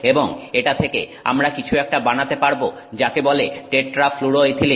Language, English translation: Bengali, And we can make from this something called tetrafluoroethylene